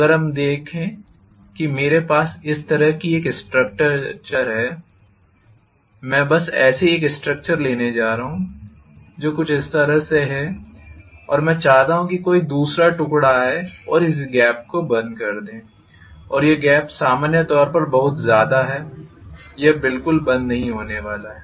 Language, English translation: Hindi, If let us say I have a structure like this, I am just going to arbitrarily take a structure which is somewhat like this and I want some other piece to come and close this gap and this gap is normally a lot this is not going to be closed at all